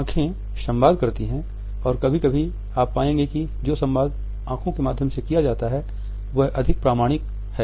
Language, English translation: Hindi, Eyes communicate and sometimes you would find that the communication which is done through eyes is the most authentic one